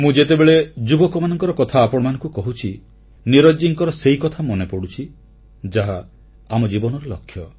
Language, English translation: Odia, And when I mention the glorious journey of these youth, I am reminded of Neeraj ji's line which sum up the raison d'etre of life